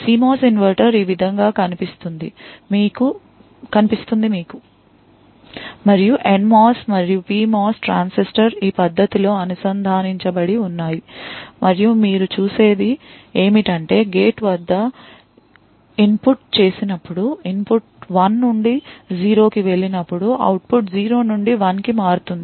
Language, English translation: Telugu, A CMOS inverter look something like this, you have and NMOS and a PMOS transistor which are connected in this manner and what you see is that when the input at the gate, when the input goes from 1 to 0, the output changes from 0 to 1